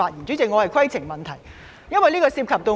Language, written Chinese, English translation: Cantonese, 主席，我想提出規程問題，因為此事涉及我本人。, President I would like to raise a point of order since I am involved in this issue